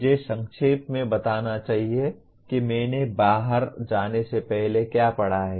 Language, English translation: Hindi, I should summarize what I have just read before going out